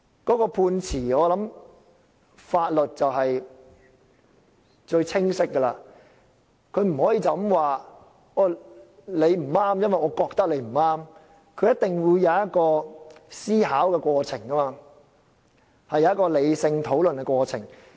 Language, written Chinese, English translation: Cantonese, 我想法律是最清晰的，它不可以說你不對，是因為它覺得你不對，而是一定會有一個思考、理性討論的過程。, I think the law cannot be clearer . It cannot say that you are wrong because it thinks that you are wrong but there must be a process of reasoning and rational discussion